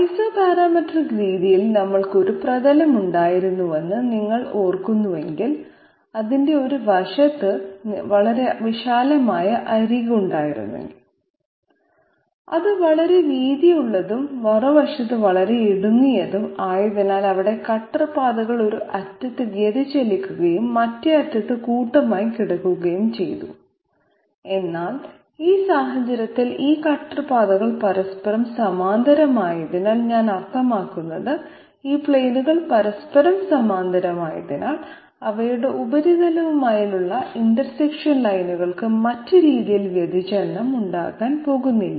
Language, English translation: Malayalam, So for that if you kindly remember that in the Isoparametric method we had a surface which was you know wide it had it had a very wide edge on one side and it was very I mean very narrow on the other side because of which their cutter paths were diverging at one end and clustered at the other, but in this case since these cutter paths are parallel to each other I mean these planes are parallel to each other, their intersection lines with the surface, they are not going to have any divergence that way